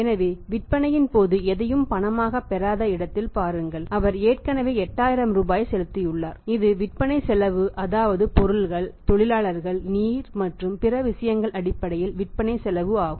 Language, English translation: Tamil, So, see at the point of sales where is not getting anything in cash he has already paid 8000 rupees which is the cost of sales in terms of material in terms of labour in terms of power in terms of water and other things